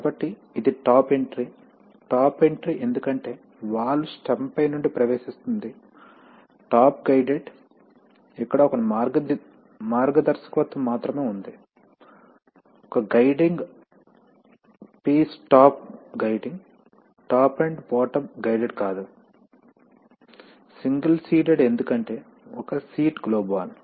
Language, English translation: Telugu, So this is a top entry, top entry because the valve stem enters from the top, top guided here there is only one guidance, one guiding piece that is top guiding not top and bottom guided, single seated because there is only one seat globe valve